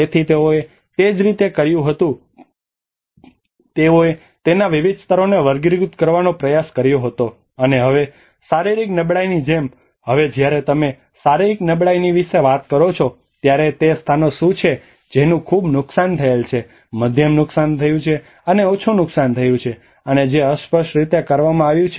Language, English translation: Gujarati, So that is how what they did was they tried to classify different layers of it and like physical vulnerability now when you talk about the physical vulnerability what are the places which has been in highly damaged, medium damaged, and the low damaged and which has been not defined